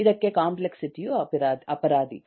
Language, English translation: Kannada, the complexity is the culprit